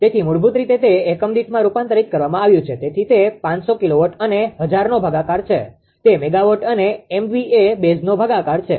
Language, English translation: Gujarati, So, basically it is 500 divide this is a these are been converted to per unit divided by your 500 ah k kilowatt divided by 1000; it will be megawatt divided by MVA base